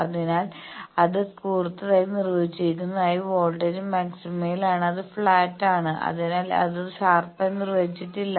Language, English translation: Malayalam, So, because it is sharply defined the voltage is at the maxima, it is flat that is why it is not, sharply defined